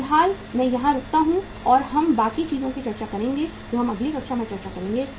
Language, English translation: Hindi, At the moment I stop here and we will uh rest of the things we will discuss in the next class